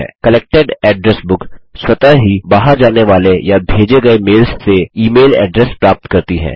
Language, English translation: Hindi, Collected address book automatically collects the email addresses from outgoing or sent mails